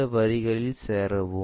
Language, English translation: Tamil, Join these lines